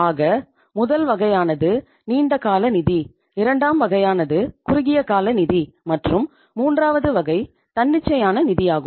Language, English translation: Tamil, So one is the long term finance, second is the short term finance, and third is the spontaneous finance